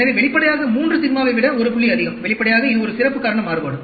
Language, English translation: Tamil, So, obviously, 1 point more than 3 sigma, obviously this is a special cause variation